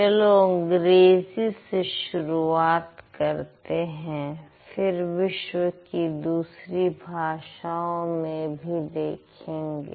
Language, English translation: Hindi, Let's start it with English and then we'll move over to some other languages that you speak